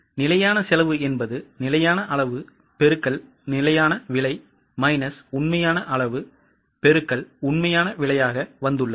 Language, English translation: Tamil, The standard cost is arrived by standard quantity into standard price minus actual quantity into actual price